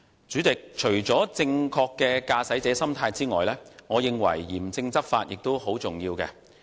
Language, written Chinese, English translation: Cantonese, 主席，除了正確的駕駛者心態外，我認為嚴正執法亦很重要。, President apart from a proper driving attitude I believe stringent enforcement is also very important . Under the Road Traffic Ordinance Cap